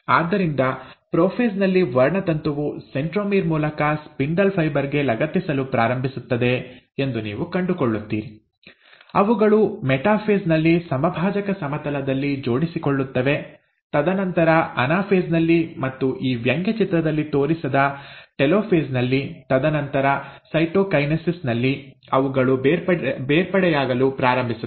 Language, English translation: Kannada, So, you find that in prophase, the chromosome start attaching to the spindle fibre through the centromere, they will arrange at the equatorial plane at the metaphase, and then at the anaphase, they start separating apart